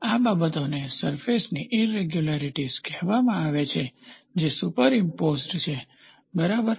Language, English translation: Gujarati, These things are called as surface irregularities, these surface irregularities are superimposed, ok